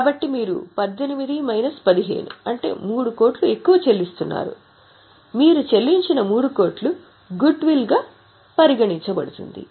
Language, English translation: Telugu, So, you are paying 3 crore more, 18 minus 15, 3 crore more which you have paid will be considered as goodwill